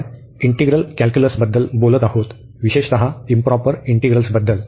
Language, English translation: Marathi, We are talking about the Integral Calculus in particular Improper Integrals